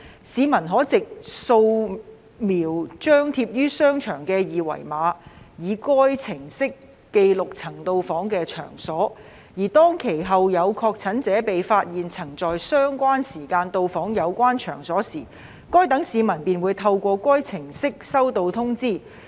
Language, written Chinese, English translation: Cantonese, 市民可藉掃描張貼於場所的二維碼以該程式記錄曾到訪的場所，而當其後有確診者被發現曾在相關時間到訪有關場所時，該等市民便會透過該程式收到通知。, Members of the public may use the app to record the venues which they have visited by scanning the QR codes posted at the venues . When it is subsequently found that the venues concerned have been visited at the relevant time by persons confirmed to be infected those members of the public will receive notifications through the app